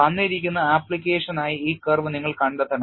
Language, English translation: Malayalam, And this curve you have to find out for a given application